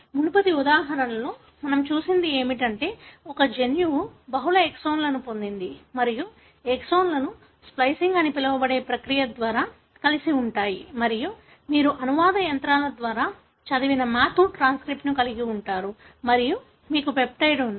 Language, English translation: Telugu, What we have looked at in the previous example is that a gene has got multiple exons and the exons are joined together by a process called as splicing and then you have a matur transcript, which are read by the translation machinery and you have the peptide